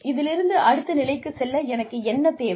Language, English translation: Tamil, What do I need in order to, move to the next level